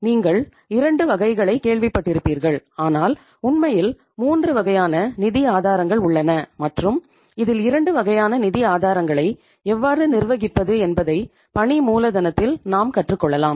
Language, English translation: Tamil, You must have heard there are 2 categories but actually there are the 3 categories of the sources of the funds and uh we will learn how to manage the 2 sources under the working capital